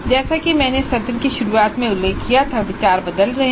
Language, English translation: Hindi, And as I mentioned at the start of the session, there are changing views